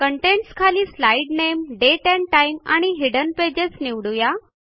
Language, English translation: Marathi, Under Contents, lets select Slide name, Date and time and Hidden pages